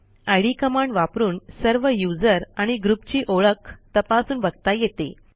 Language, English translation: Marathi, id command to know the information about user ids and group ids